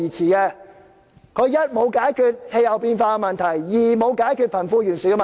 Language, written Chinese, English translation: Cantonese, 第一、這個方向沒有解決氣候變化問題；第二、沒有解決貧富懸殊問題。, First this direction does not tackle the climate change . Second it does not close the wealth gap